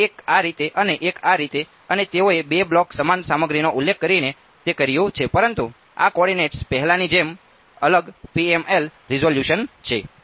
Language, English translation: Gujarati, So, one this way and one this way and they have done it by specifying two blocks same material, but this coordinates are different PML resolution everything as before ok